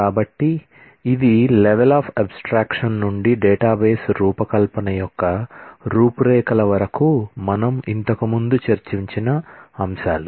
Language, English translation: Telugu, So, this is what, these are the aspects that we are discussed earlier starting from level of abstraction to the outline of database design